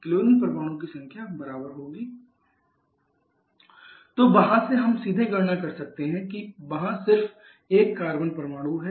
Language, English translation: Hindi, Then how much will be the number of chlorine there number of chlorine will be equal to 2 into x + 1 + 2 y 1 z so from there you can calculate or we can calculate directly as there is just one carbon atom